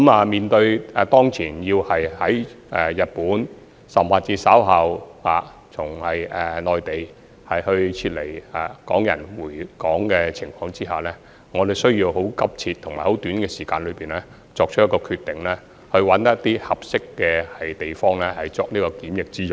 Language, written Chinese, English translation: Cantonese, 面對日內從日本甚或稍後從內地回港的港人，我們需要很急切及在很短時間內找尋一些合適的地方作檢疫用途。, Facing the return of Hong Kong people from Japan in a few days or the return of Hong Kong people from the Mainland later we have a very urgent need to find some suitable places for quarantine within a very short time